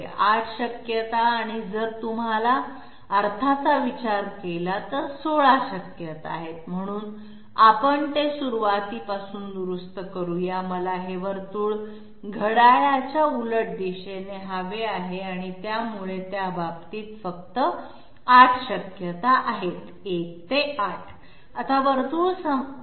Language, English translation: Marathi, Oh my God, 8 possibilities and if you consider the sense, there are 16 possibilities so let us fix it up from the beginning itself, I want this circle to be counterclockwise so in that case only 8 possibilities are there 1 2 4 5 6 7 8